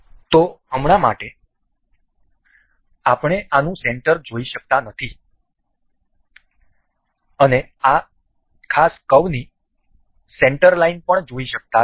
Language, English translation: Gujarati, So, for now, we cannot see the center of this so far and the center line of this particular curve